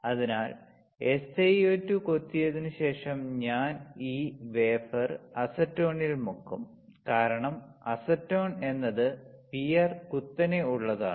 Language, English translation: Malayalam, So, after etching SiO2, I will dip this wafer in acetone right acetone because acetone is PR steeper